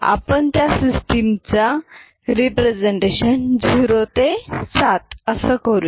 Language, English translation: Marathi, Let us consider the representation of them is 0 to 7